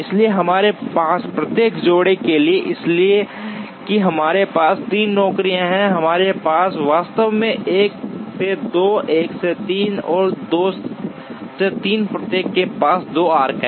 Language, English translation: Hindi, So, for every pair we have that, so since we have 3 jobs, we actually have 1 to 2, 1 to 3 and 2 to 3 each has 2 arcs